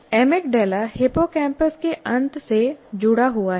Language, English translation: Hindi, Emigdala is attached to the end of hippocampus